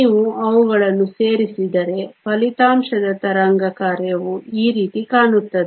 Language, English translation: Kannada, If you add them the resultant wave function look something like this